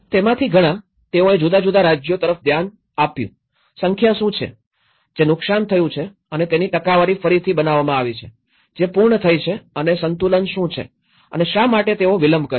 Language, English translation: Gujarati, Many of that, they looked at different states, what are the number, which has been damaged and the percentage have been reconstructed, which have been completed and what is the balance okay and why they are delayed